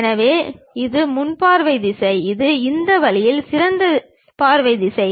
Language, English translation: Tamil, So, this is the front view direction, this is the top view direction in this way